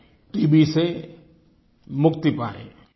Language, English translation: Hindi, You must have got TB